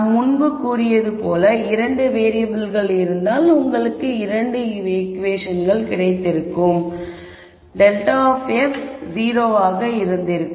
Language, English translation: Tamil, And as we mentioned before we thought the constraint that would have been 2 variables and you would have got 2 equations which would have been grad f equal to 0